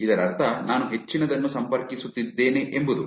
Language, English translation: Kannada, This means that I am connecting to lot more